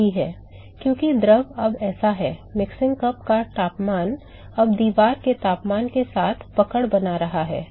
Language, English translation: Hindi, Right, because the fluid is now so, the mixing cup temperature is now catching up with the temperature of the wall